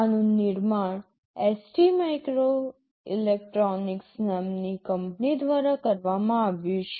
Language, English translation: Gujarati, This is manufactured by a company called ST microelectronics